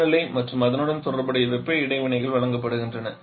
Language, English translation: Tamil, The temperature and corresponding heat interactions are given